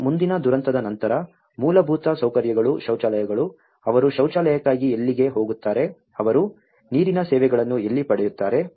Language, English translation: Kannada, And after the following disaster, the basic infrastructure, the toilets, where do they go for the toilets, where do they get the water services